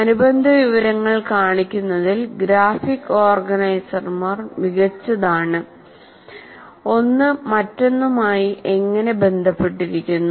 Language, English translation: Malayalam, And graphic organizers are best at showing the relational information, how one is related to the other